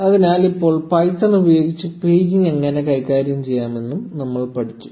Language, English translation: Malayalam, So, now, we have also learnt how to handle paging using python